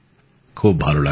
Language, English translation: Bengali, That is nice